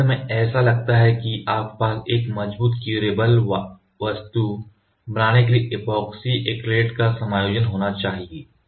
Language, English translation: Hindi, So, finally, it looks like you have to have a combination of epoxy acrylate for forming a strong curable part